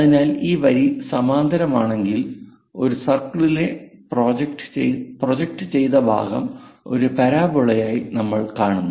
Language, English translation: Malayalam, So, this line, this line if it is parallel; the projected one this part in a circle we see as a parabola